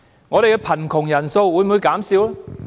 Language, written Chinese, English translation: Cantonese, 本港的貧窮人數會否減少？, Will the poor population in Hong Kong become smaller?